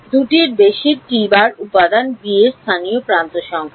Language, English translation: Bengali, 2 plus T of element b local edge number